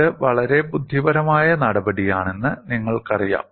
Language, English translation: Malayalam, It is a very intelligent step